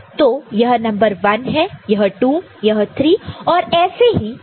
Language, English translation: Hindi, This is number 1, this is 2, this is 3 and so on and so forth